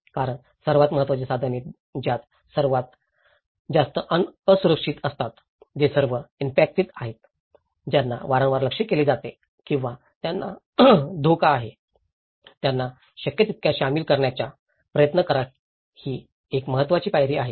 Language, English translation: Marathi, Some of the key tools, involving the most vulnerable so, who are all affected, who are frequently targeted or who are under threat, try to involve them as much as possible that is one of the important step